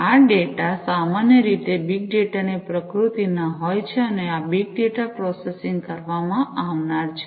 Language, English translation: Gujarati, These data are typically of the nature of big data and this big data processing is going to be performed